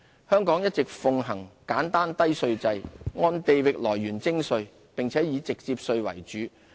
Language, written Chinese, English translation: Cantonese, 香港一直奉行簡單低稅制，按地域來源徵稅，並以直接稅為主。, Hong Kong has all along been maintaining a low simple and territorial - source - based tax regime which comprises mainly of direct taxes